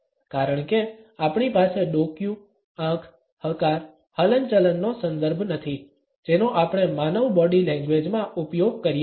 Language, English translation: Gujarati, Because we do not have the context of the stare, the eye, the nod, the shake that we use to in human body language